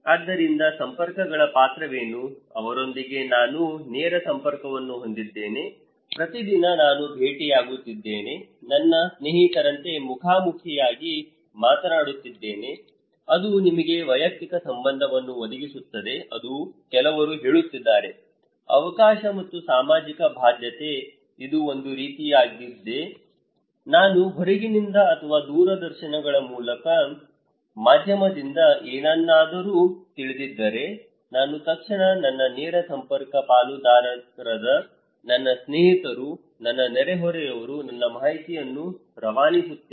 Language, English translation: Kannada, So, what is the role of cohesive networks, with whom I have direct connections, every day I am meeting, talking face to face personal relationship like my friends, some are saying that it provides you the opportunity and social obligation, it is kind of, it also help you to collect that if I know something from outside or from any from televisions or mass media, I immediately pass the informations to my direct network partners like my friends, my neighbours, my co workers with whom I am very intimate, it is cohesive